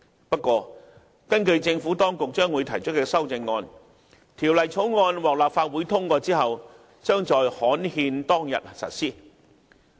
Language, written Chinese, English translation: Cantonese, 不過，根據政府當局將會提出的修正案，《條例草案》獲立法會通過後，將在刊憲當日實施。, However according to the CSAs to be moved by the Administration upon passage of the Bill by the Legislative Council the new law will come into operation on the day on which it is published on the Gazette